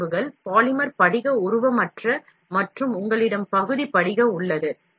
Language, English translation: Tamil, Material characteristics, polymer, crystalline, amorphous and you have partial crystalline